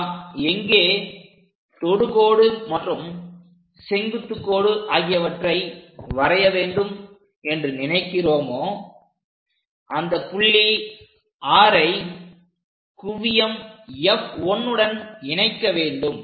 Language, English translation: Tamil, After deciding where you would like to draw the normal or tangent connect that point R with focus F 1